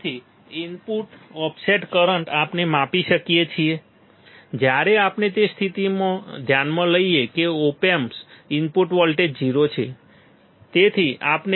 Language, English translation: Gujarati, So, input offset current we can measure when we to consider the condition that input op voltage the op amp is 0